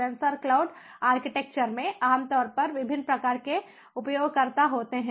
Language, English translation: Hindi, in sensor cloud architecture, typically there are different types of users